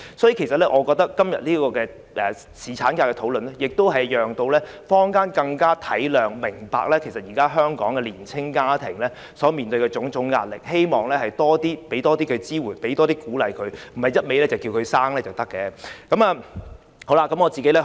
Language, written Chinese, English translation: Cantonese, 所以，我覺得今天這個侍產假的討論可讓坊間更能體諒及明白，現時香港的年青家庭所面對的種種壓力，希望能給予他們多些支援和鼓勵，而不是不斷呼籲他們生育便可。, It was really no holiday and there were so many things to attend to . Hence I think this debate on paternity leave today can enable the public to understand and know more about the pressure facing young families in Hong Kong now . I hope that this debate can give them more support and encouragement rather than just urging them to have more children